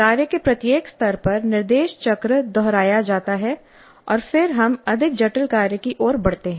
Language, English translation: Hindi, At each level of the task, the instruction cycle is repeated and then we move to a more complex task